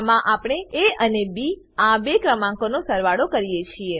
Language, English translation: Gujarati, In this we perform addition of two numbers a and b